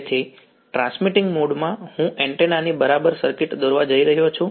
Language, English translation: Gujarati, So, in the transmitting mode I am going to draw the circuit equivalent of antenna right